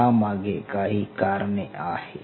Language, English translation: Marathi, There are reasons for it